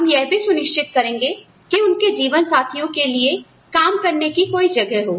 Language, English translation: Hindi, We may also ensure that, their spouses have a place to work